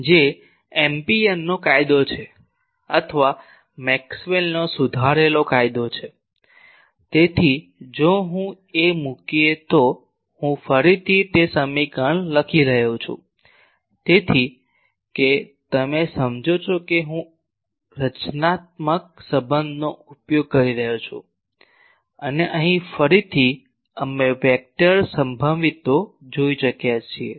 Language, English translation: Gujarati, Which is Ampere’s law or Maxwell’s modified law, so there if I put I am again writing that equation; so, that you understand that now constitutive relation I am making use and here again we have already seen the vector potentials